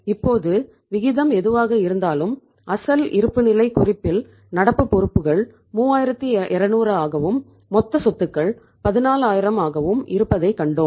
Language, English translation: Tamil, Whatever the ratio is there now for example we have seen that we had the current liabilities in the original balance sheet is 3200 and total assets are 14000